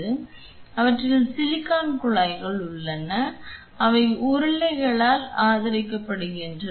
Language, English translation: Tamil, So, they have tubes silicone tubing which are supported on rollers